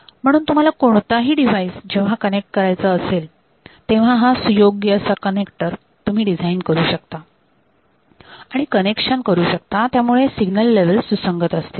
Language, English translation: Marathi, So, whatever device you are going to connect; so, we can design a suitable connector and do the connections there then the signal levels will be compatible